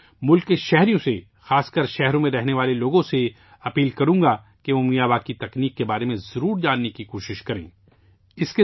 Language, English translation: Urdu, I would urge the countrymen, especially those living in cities, to make an effort to learn about the Miyawaki method